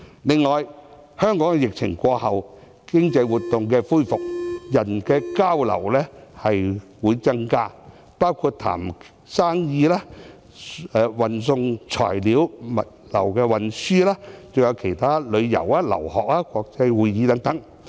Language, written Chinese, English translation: Cantonese, 此外，香港在疫情過後，經濟活動恢復，人的交流會增加，包括洽談生意、運送材料、物流的運輸、旅遊、留學、國際會議等。, Furthermore after the epidemic has subsided economic activities will resume and there will be more interactions between people including business negotiations delivery of materials movement of goods tourism overseas studies international conferences etc